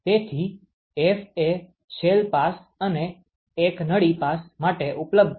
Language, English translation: Gujarati, So, the F is available for one shell pass, one tube pass